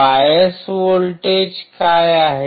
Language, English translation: Marathi, What are the bias voltages